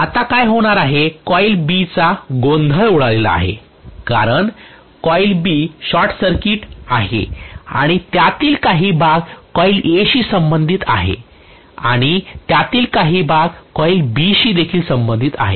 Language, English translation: Marathi, Now what is going to happen is coil B is under confusion kind of because coil B is short circuited and part of it is going to be showing affiliation to coil A and part of it is going to show affiliation tocoil B